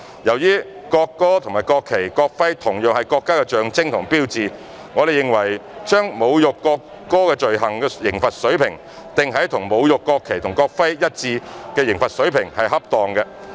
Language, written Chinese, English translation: Cantonese, 由於國歌和國旗、國徽同樣是國家的象徵和標誌，我們認為把侮辱國歌罪行的刑罰水平訂於與侮辱國旗或國徽罪行一致的刑罰水平是恰當的。, Given that the national anthem as well as the national flag and the national emblem are the symbol and sign of our country we consider it appropriate to set the level of penalty for the offence of insulting the national anthem on par with that for the offence of insulting the national flag or the national emblem